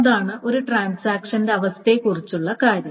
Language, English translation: Malayalam, This is called the states of a transaction